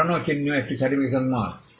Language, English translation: Bengali, Old mark is a certification mark